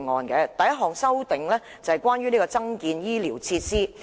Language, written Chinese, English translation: Cantonese, 第一項修正是關於增建醫療設施的。, Item 1 concerns building medical facilities